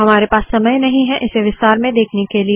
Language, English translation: Hindi, We dont have time to go through this in more detail